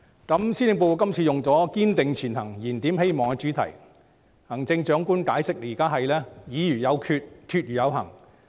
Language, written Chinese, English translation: Cantonese, 今次施政報告以"堅定前行燃點希望"為主題，行政長官解釋現在是時候"議而有決、決而有行"。, The latest Policy Address is entitled Striving Ahead Rekindling Hope . The Chief Executive explained that it is time for the Government to deliberate then determine and then act